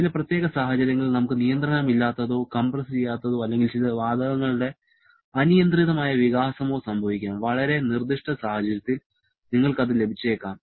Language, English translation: Malayalam, Under certain situation, we may have unrestrained or uncompressed or I should say unrestricted expansion of certain gases, in very specific situation you may get that